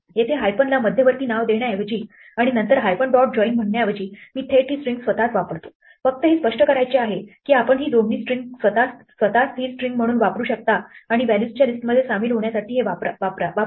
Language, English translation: Marathi, Here instead of giving an intermediate name to the hyphens and then saying hyphens dot join I directly use this string itself, just want to illustrate that you can directly use this joining string itself as a constant string and say use this to join this list of values